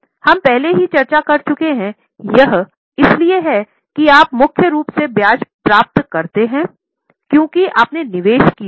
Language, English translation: Hindi, We have already discussed this, that you receive interest mainly because you have made investment